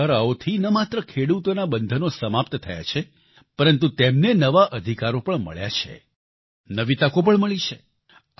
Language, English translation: Gujarati, These reforms have not only served to unshackle our farmers but also given them new rights and opportunities